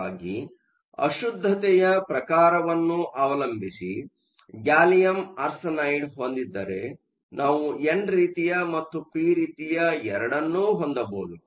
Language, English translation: Kannada, So, if we have gallium arsenide depending upon the type of impurity, we can either have both n type and p type